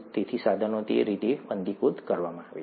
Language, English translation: Gujarati, So instruments are sterilized that way